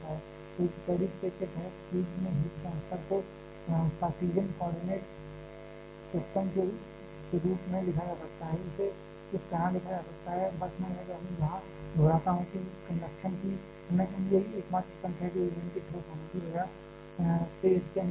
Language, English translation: Hindi, So, a under steady state the heat transfer in the fuel can be written following the cartesian coordinate system, it can be written like this ,just a I repeat here conduction is the only mechanism that is happening inside the fuel is being a solid